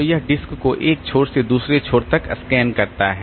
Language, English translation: Hindi, So, it scans the disk from one end to the other end